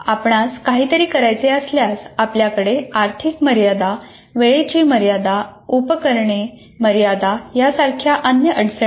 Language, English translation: Marathi, What happens if you want to perform something, you have other constraints like monetary constraints, time constraints, and equipment constraints and so on